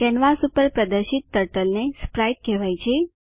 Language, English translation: Gujarati, Turtle displayed on the canvas is called sprite